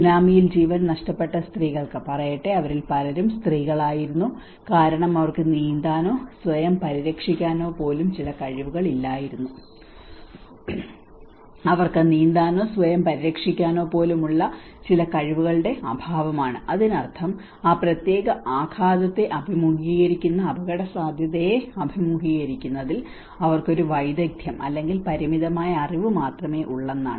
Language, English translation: Malayalam, Let us say for women who have lost their lives in the tsunami many of them were woman because they are lack of certain skills even swimming or protecting themselves so which means there is a skill or there is a limited access for them in facing the risk, facing that particular shock